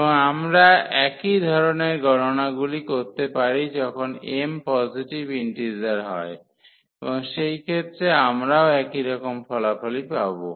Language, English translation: Bengali, And, we can do the same similar calculations when m is a positive integer and in that case also we will get a similar result